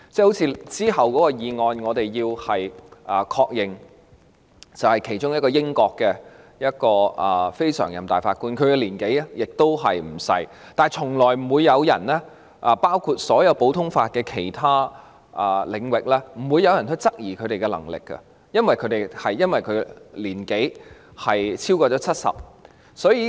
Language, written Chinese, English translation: Cantonese, 我們會在隨後的議案中，確認其中一位來自英國的非常任法官的任命，其年紀亦不小，但從來沒有人——包括所有其他實行普通法的地域——會因為他已年過70而質疑其能力。, When dealing with a motion to be proposed at a later time we are going to endorse the appointment of one of the non - permanent judges from the United Kingdom who is not very young either . Notwithstanding this no one―including all other common law jurisdictions―has ever questioned his ability on the ground that he is over 70 years of age